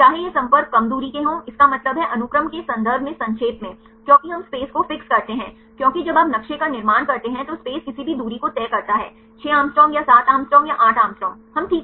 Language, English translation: Hindi, Whether these contacts are short range; that means, short in terms of sequence right because we fix the space, because when you when you construct a map the space is fixed any distance, 6 Å or 7 Å or 8 Å we fix